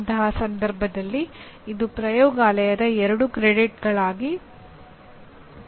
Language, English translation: Kannada, In that case it will become 2 credit, 2 credits of laboratory